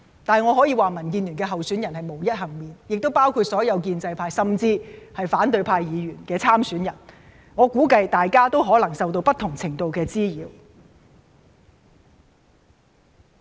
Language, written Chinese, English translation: Cantonese, 不過，我可以說民建聯的候選人便是無一幸免的，當中亦包括了所有建制派，甚至是反對派議員的參選人，我估計大家可能也受到不同程度的滋擾。, However I can say that none of our DAB candidates are left unscathed . Of course all pro - establishment Members are included even the candidates from the opposition camp are also affected and I assume that everybody is subject to different levels of harassment